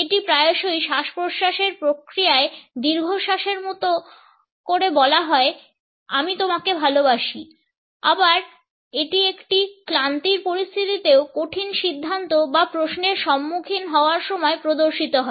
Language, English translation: Bengali, It has often produced by the inhaling phase of a sigh “I love you”, it appears also in situations of weariness facing a difficult decision or question